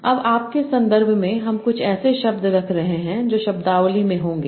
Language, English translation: Hindi, Now, in your context you are having certain word that will be there in the vocabulary